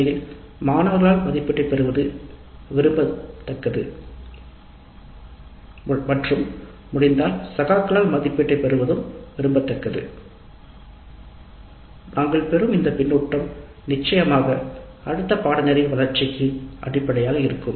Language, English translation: Tamil, In fact it is desirable to have the evaluation by students definitely and if possible by peers and these feedback that we get would be the basis for development of the course delivery the next time